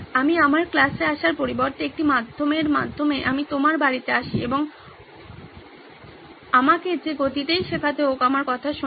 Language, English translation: Bengali, I come to your home through a medium rather than you coming to my class and listening to me at whatever pace I have to teach